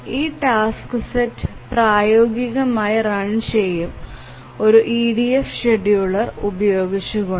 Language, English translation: Malayalam, So, will this task set be feasibly run using an ADF scheduler